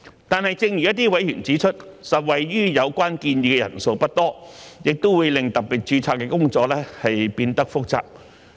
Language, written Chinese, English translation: Cantonese, 但是，正如一些委員指出，受惠於有關建議的人數不多，亦會令特別註冊的工作變得複雜。, However as remarked by some members his proposals can only benefit a small number of people and will complicate the work of special registration